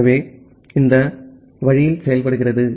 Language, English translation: Tamil, So, this works in this way